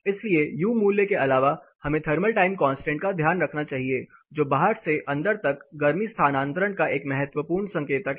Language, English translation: Hindi, So, apart from U value we also have keep a tag of the thermal time constant which is a crucial indicator of the heat transfer between outside to inside